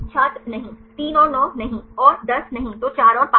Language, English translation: Hindi, No No 3 and 9 no 3 and 10 no then 4 and 5